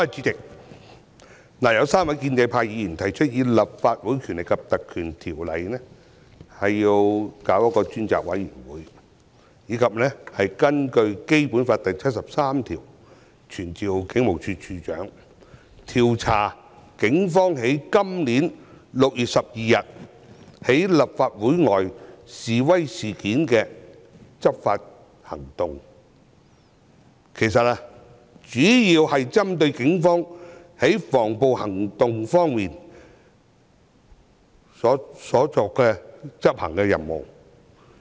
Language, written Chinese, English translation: Cantonese, 主席，有3位議員提出根據《立法會條例》委任專責委員會，以及根據《基本法》第七十三條傳召警務處處長，調查警方在今年6月12日在立法會外示威事件中的執法行動，其實主要是針對警方執行的防暴行動。, President three Members have proposed to appoint a select committee under the Legislative Council Ordinance and Article 73 of the Basic Law to summon the Commissioner of Police to inquire into the law enforcement actions of the Police taken in the protest outside the Legislative Council Complex on 12 June this year . Actually the main intention of these Members is to target at the anti - riot actions taken by the Police